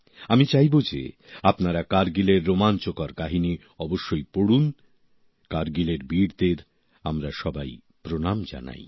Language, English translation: Bengali, I wish you read the enthralling saga of Kargil…let us all bow to the bravehearts of Kargil